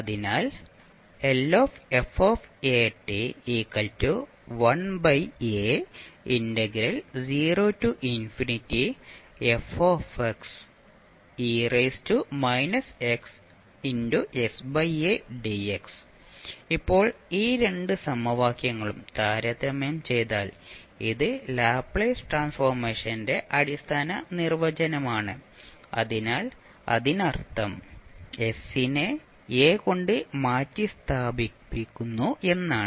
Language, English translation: Malayalam, Now if you compare the these two equations because this is the standard definition of the Laplace transform, so that means that you are simply replacing s by a